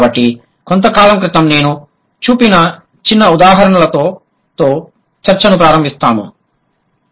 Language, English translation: Telugu, So I'll just begin the discussion with a small example which I cited a while ago